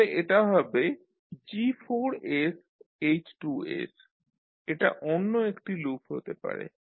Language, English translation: Bengali, So this will become G4s into S2s, another loop can be this one